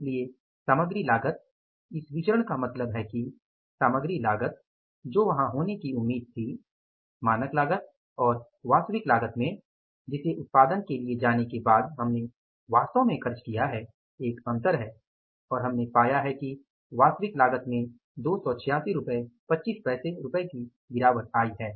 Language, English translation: Hindi, So, material cost, this variance means the material cost which was expected to be there, the standard cost and the actual cost which we have actually incurred after going for the production there is a difference and we have found that the actual cost has come down by 286